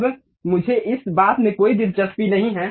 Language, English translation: Hindi, Now, I am not interested about this point